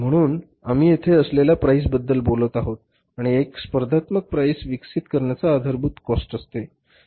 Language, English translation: Marathi, So, we are talking about the price here and the basis of developing a competitive price is the cost